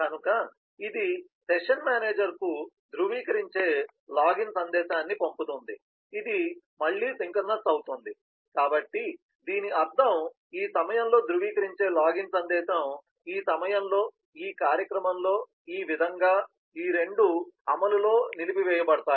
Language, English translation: Telugu, so in turn it sends a verify login message to the session manager, this again is synchronous, which means that when this verify login message is received at this point, at this event, then this as well as this, both of them are on hold in execution